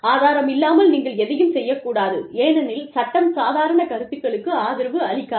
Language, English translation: Tamil, You should never say something, because, the law does not support, casual opinions